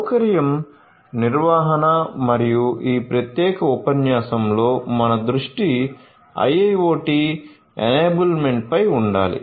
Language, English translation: Telugu, So, facility management and in this particular lecture our focus will be on IIoT enablement so, IIoT enabled facility management